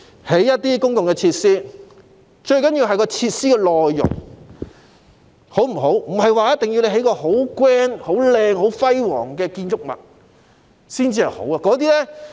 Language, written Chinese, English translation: Cantonese, 例如，公共設施最重要的其實是設施的內容，並非 grand、漂亮或輝煌的建築物才好。, For example the most important thing about public facilities is actually their contents and it is not true to say that grand good - looking or extravagant buildings must always be good